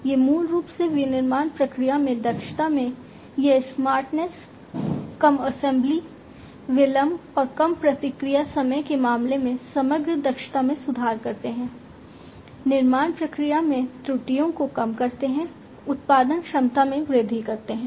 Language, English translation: Hindi, So, these basically this smartness in the efficiency in the manufacturing process, improves the overall efficiency in terms of lower assembly delay and lowered response time, reduced errors in the manufacturing process, enhanced production capability, and so on